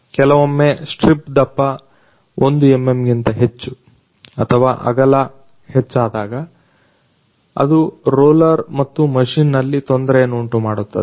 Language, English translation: Kannada, Sometimes when strip thickness (even > 1mm) or width increases, it causes the problem in the roller and the machine